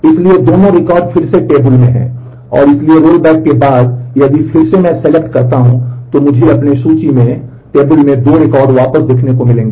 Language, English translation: Hindi, So, these 2 records are again back to the table and so, after the rollback if I again do the select I will get to see the 2 records back in my list